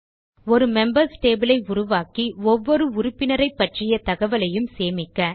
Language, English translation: Tamil, Create a Members table that will store information about each member, for example, member name, and phone number